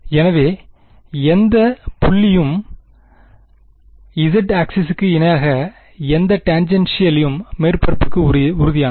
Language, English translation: Tamil, So, the z axis any point any line parallel to the z axis is tangential to the surface